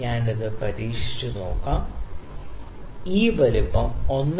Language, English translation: Malayalam, So, let me try this one, this size is 1